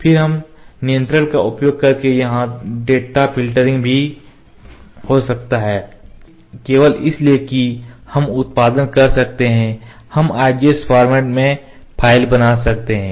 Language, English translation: Hindi, Then data filtering can also happen using this controller here, on only because we can produce we can create the file in IGS format